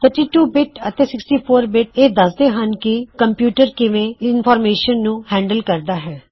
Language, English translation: Punjabi, The terms 32 bit and 64 bit refer to the way the CPU handles information